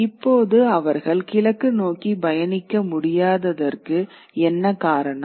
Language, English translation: Tamil, And what is the reason why they couldn't travel east now